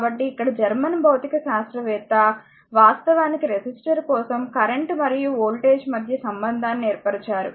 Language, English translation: Telugu, So, here German physicist actually who established the relationship between the current and voltage for a resistor, right